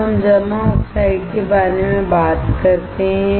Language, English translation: Hindi, Now, let us talk about deposited oxides